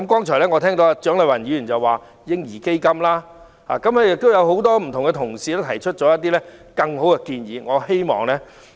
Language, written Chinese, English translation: Cantonese, 蔣麗芸議員剛才建議設立嬰兒基金，亦有多位同事提出其他很好的建議。, Dr CHIANG Lai - wan proposed setting up a baby fund just now while a number of Honourable colleagues have also put forward other good proposals